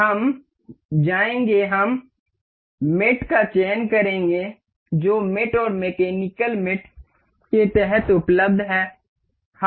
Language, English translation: Hindi, We will go we will select hinge mate that is available under mate and mechanical mate